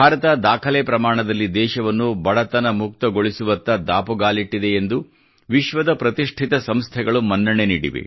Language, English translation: Kannada, Noted world institutions have accepted that the country has taken strides in the area of poverty alleviation at a record pace